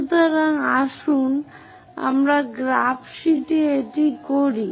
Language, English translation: Bengali, So, let us do that on the graph sheet